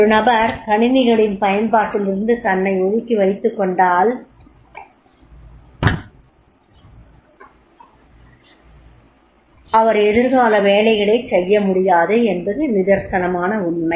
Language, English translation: Tamil, If the person keeps himself away from the use of the computer, he will not be able to perform the future jobs